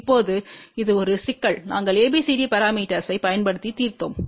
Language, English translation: Tamil, Now, this is problem which we solved using ABCD parameter